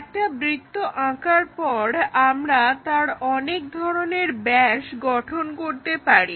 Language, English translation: Bengali, So, once we have a circle, we can construct different diameters